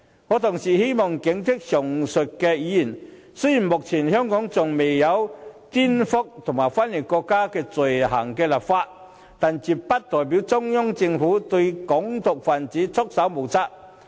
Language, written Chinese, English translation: Cantonese, 我同時希望警惕上述議員，雖然香港仍未就顛覆及分裂國家罪行立法，但絕不代表中央政府對"港獨"分子束手無策。, I would like to warn the aforesaid Members that although Hong Kong has yet to legislate for the offences of subversion and secession that does not mean the Central Government will let Hong Kong independence activists have their way and do nothing about it